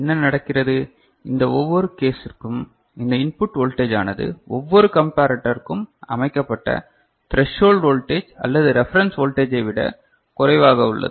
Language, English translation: Tamil, So, what is happening, for each of these cases this input is less than the threshold voltage or the reference voltage that is set for each of the comparator, is not it